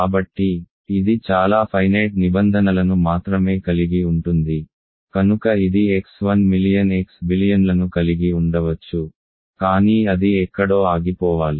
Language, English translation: Telugu, So, it can have only finitely many terms, so it may have X 1 million X billion and so on, but it must stop somewhere